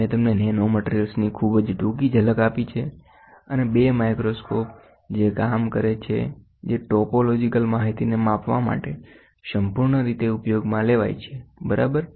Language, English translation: Gujarati, I have given you a very brief glimpse of nanomaterials, and 2 microscopes which work which is used exhaustively to measure the topological informations informations in in brief, ok